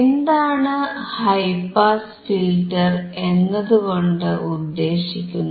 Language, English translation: Malayalam, What does high pass filter means